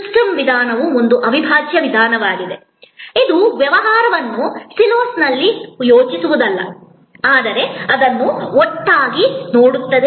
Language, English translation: Kannada, Systems approach means an integral approach, not thinking of the business in silos, but looking at it as a composite whole